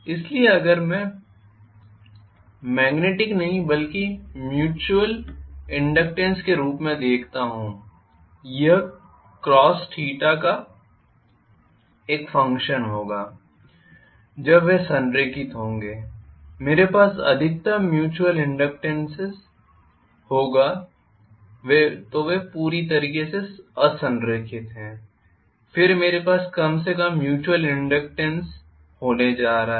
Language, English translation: Hindi, So if I look at the magnetic rather mutual inductance it will be a function of cos theta when they are aligned I will have maximum mutual inductance then they are completely unaligned then I am going to have minimal mutual inductance